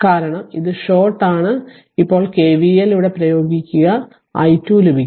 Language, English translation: Malayalam, Now you apply what you call KVL here, you will get your i what you call i 2